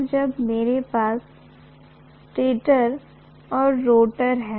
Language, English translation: Hindi, And when I have stator and rotor